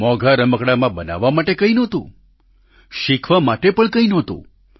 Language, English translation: Gujarati, In that expensive toy, there was nothing to create; nor was there anything to learn